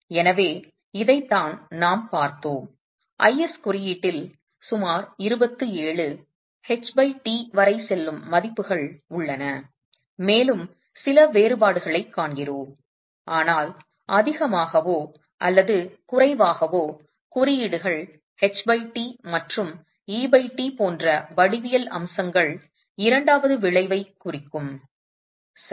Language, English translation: Tamil, So this is what we had seen and in the IS code we have the values that go up to H by T of about 27 and we do see some differences but more or less this is what is how codes would represent the effect of second order geometrical aspects such as H by T and E by T